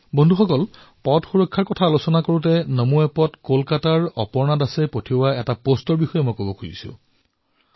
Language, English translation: Assamese, whilst speaking about Road safety, I would like to mention a post received on NaMo app from Aparna Das ji of Kolkata